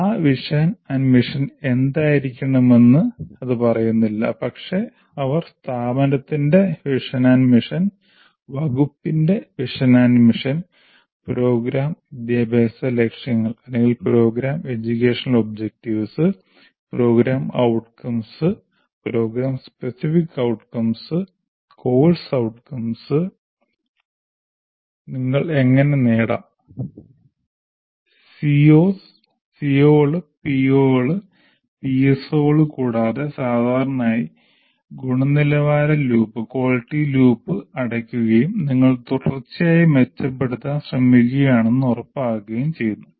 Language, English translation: Malayalam, It doesn't say what that vision and mission should be, but they have to write vision and mission of the institute, vision and mission of the department, program educational objectives, program outcomes, program specific outcomes, course outcomes, and how do you attain the C O's, P O's, and PSOs, and generally closing the quality loop and ensuring that you are trying to improve continuously